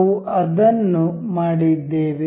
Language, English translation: Kannada, Let us just made it